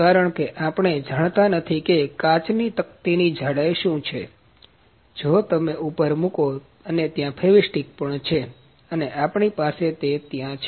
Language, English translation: Gujarati, Because we do not know what is the thickness of the glass plate that if you put on and also there is there of the fevi stick as well that we have that is there